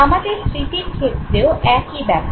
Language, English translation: Bengali, Same is the story with the memory processes also